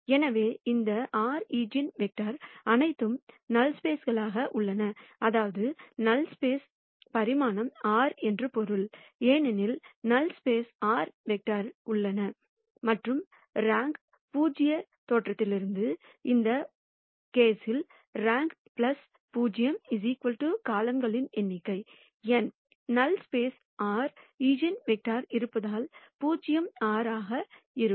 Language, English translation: Tamil, So, all of these r eigenvectors are in the null space which basically means that the dimension of the null space is r; because there are r vectors in the null space; and from rank nullity theorem, we know that rank plus nullity is equal to number of columns in this case n; since there are r eigenvectors in the null space, nullity is r